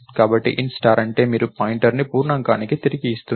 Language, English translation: Telugu, So, int star means you are returning pointer to an integer